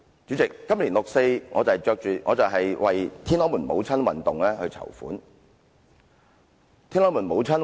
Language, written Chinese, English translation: Cantonese, 主席，在今年六四晚會，我們為"天安門母親運動"籌款。, President during the 4 June vigil this year we held a fund - raising campaign for the Tiananmen Mothers Movement